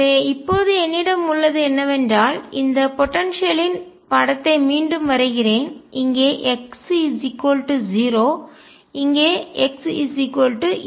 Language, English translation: Tamil, So, what I have now is I will again make this picture of this potential, x equals 0 here x equals a plus b, this is a